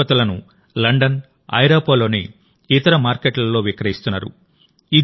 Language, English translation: Telugu, Today their products are being sold in London and other markets of Europe